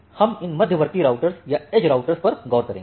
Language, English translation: Hindi, We will look into these intermediate routers or the edge routers